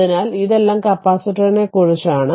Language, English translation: Malayalam, So, now this is this is all about capacitor